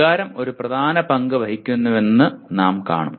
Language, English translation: Malayalam, We will see that emotion plays a dominant role